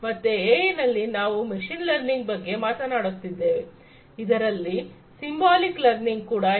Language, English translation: Kannada, So, AI we have talked about machine learning, there is also something called Symbolic Learning, Symbolic Learning